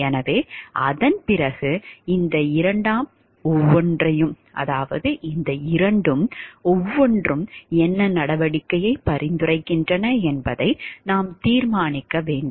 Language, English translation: Tamil, So, after that then we should determine what course of action each of these 2 suggests